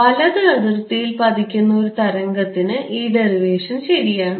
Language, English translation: Malayalam, And this derivation is correct for a in wave that is incident on the right boundary